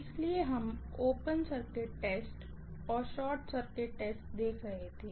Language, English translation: Hindi, So, we were looking at open circuit test and short circuit test